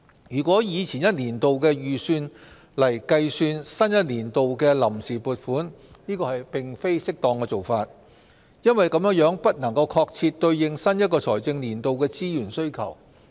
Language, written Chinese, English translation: Cantonese, 如果以前一年度的預算來計算新一年度的臨時撥款，這並非適當的做法，因為這樣不能確切對應新一財政年度的資源需求。, It will not be appropriate if we calculate the provisional appropriation for the new fiscal year based on the previous years estimates because that may not be able to respond to the financial needs of the new fiscal year accurately